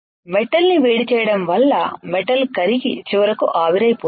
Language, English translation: Telugu, Heating the metal will cause it the metal to melt and finally, evaporate